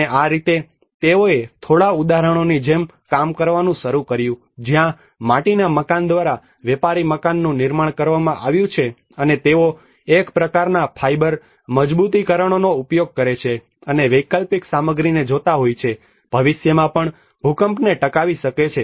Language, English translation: Gujarati, And that is how they started working on like a few examples where a merchants house has been rebuilt by the clay brickwork and they also use a kind of the fiber reinforcements and looking at the alternative materials which can sustain the earthquake in future as well